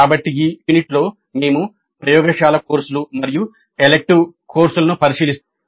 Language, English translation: Telugu, So in this unit we look at laboratory courses and elective courses